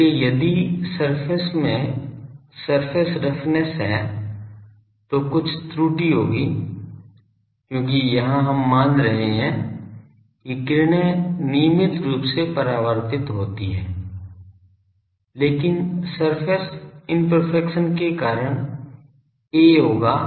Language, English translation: Hindi, So, if the surface is having a rough surface then there will be some error because here we are assuming that the rays are regularly reflected but due to the surface imperfection there will be a